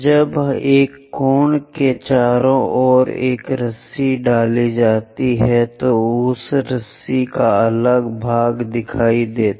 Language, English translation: Hindi, When a rope is winded around a cone, the front part front part of that rope will be visible